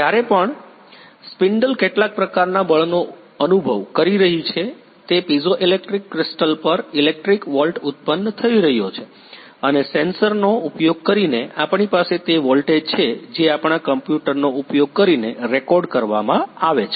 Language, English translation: Gujarati, So whenever the spindle is experiencing some sort of the force; electric volt is getting generated on those piezoelectric crystal and by using sensors we are that voltage we are recorded by using our computer